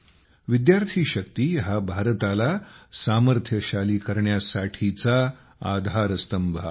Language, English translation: Marathi, Student power is the basis of making India powerful